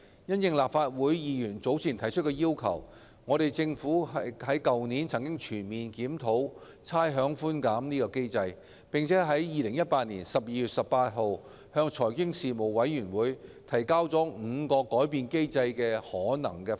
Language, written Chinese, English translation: Cantonese, 因應立法會議員早前提出的要求，政府去年曾全面檢討差餉寬減機制，並已於2018年12月18日向財經事務委員會提交5個改變機制的可能方案。, In response to Members earlier request the Government comprehensively reviewed the rates concession mechanism last year and submitted five possible options for modifying the existing mechanism to the Panel on Financial Affairs on 18 December 2018